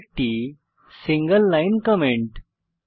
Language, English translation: Bengali, Please note this is a single line comment